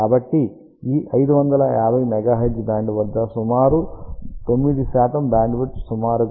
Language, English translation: Telugu, So, this 550 megahertz is approximately 9 percent bandwidth at the desired band of around 5